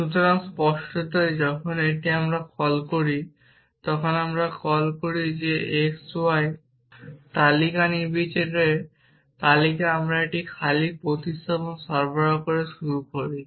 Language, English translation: Bengali, So, obviously when we call it when we call we so x y are any search list arbitrary list we start of by supplying an empty substitution